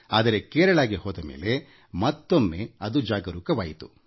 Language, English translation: Kannada, When I went to Kerala, it was rekindled